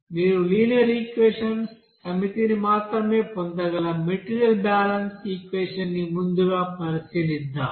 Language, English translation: Telugu, Let us consider first that material balance equation where you can get only linear equations, set of linear equations